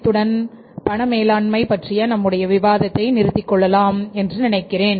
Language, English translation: Tamil, So, I will stop here with the discussion on the cash management